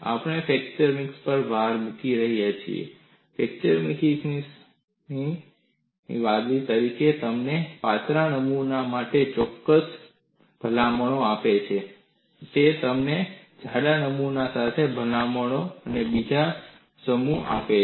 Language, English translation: Gujarati, We have been emphasizing in fracture mechanics; fracture mechanics is holistic; it gives you certain recommendation for thin specimens; it gives you another set of recommendations for thick specimens